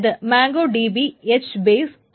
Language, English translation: Malayalam, This is MongoDB and H Base